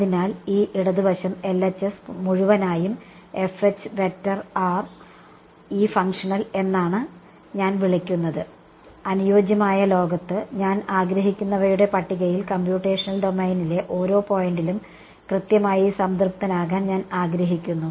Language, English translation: Malayalam, So, this entire left hand side I am I have called it this functional F H r which in the ideal world I would like to be satisfied exactly at every point in the computational domain that is my wish list